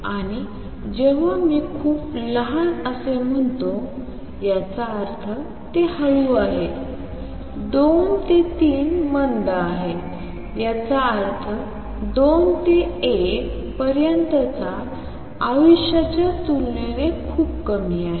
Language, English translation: Marathi, And when I say very short that means, this is slow, 2 to 3 is slow; that means much less compare to life time from 2 to 1